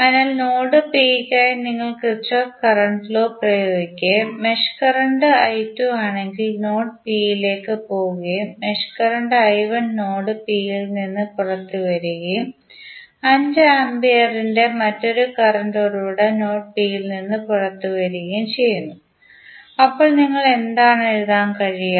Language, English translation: Malayalam, So, for node P if you apply Kirchhoff Current Law and if you see the mesh current is i 2 which is going in to node P and the mesh current i 2 is coming out of node P and another current source of 5 ampere is coming out of node P, so what you can write